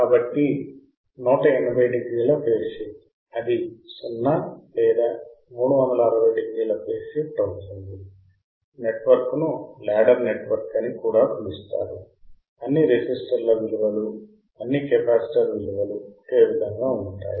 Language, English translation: Telugu, So, 180 degree phase shift it becomes 0 or 360 degree phase shift right the network is also called a ladder network all the resistance value all the capacitor values are same